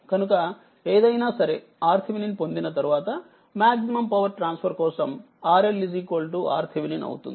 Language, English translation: Telugu, So, and then you whatever R Thevenin you get for maximum power transfer R L will be is equal to R Thevenin; so, let me clear it